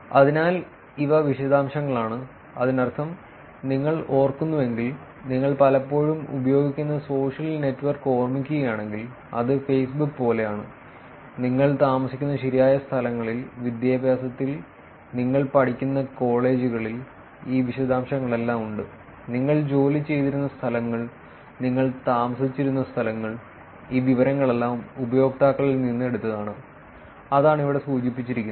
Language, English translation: Malayalam, So, these are details, meaning, if you remember, if you just recollect the social network that you use more often, which is like Facebook, you have all these details at the right places that you live, education, colleges that you study, places that you worked, places that you have lived, all of these information are taken from the users and that is what is mentioned here